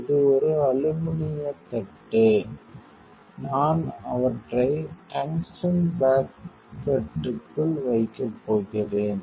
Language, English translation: Tamil, This is an aluminum plate, I am going to keep them inside the tungsten basket like this